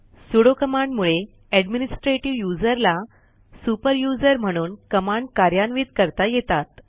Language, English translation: Marathi, Sudo command allows the administrative user to execute a command as a super user